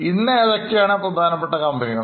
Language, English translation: Malayalam, Today which are the big companies